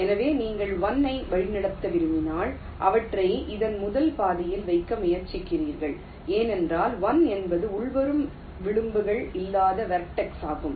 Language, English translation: Tamil, so when you want to route one, you try to put them in this first track, because one is the vertex, which no incoming edges, so one will have to lay out first